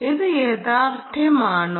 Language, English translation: Malayalam, ah, is this reality